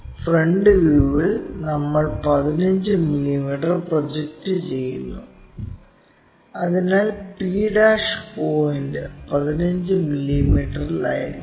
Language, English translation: Malayalam, In the front view we are projecting that 15 mm, so that p' point will be at 15 mm